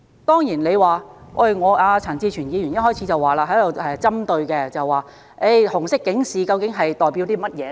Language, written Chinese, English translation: Cantonese, 當然，陳志全議員一開始便針對紅色警示，問它究竟代表甚麼？, Of course Mr CHAN Chi - chuen queried about the Red alert at the beginning of the debate and asked what it represented